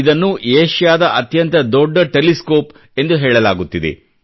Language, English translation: Kannada, This is known as Asia's largest telescope